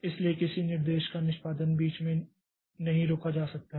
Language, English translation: Hindi, So, execution of a single instruction cannot be stopped in between